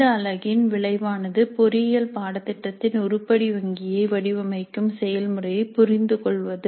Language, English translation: Tamil, The outcomes for this unit are understand the process of designing item banks for an engineering course